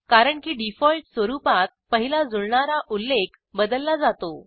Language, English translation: Marathi, This is because, by default, the first matched entry of any line is substituted